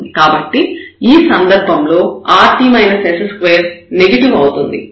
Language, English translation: Telugu, So, this time now this rt minus s square is negative